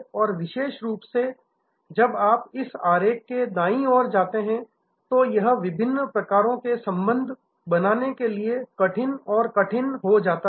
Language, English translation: Hindi, And particularly as you go towards the right side of this diagram, it becomes tougher and tougher to create the bonds of different types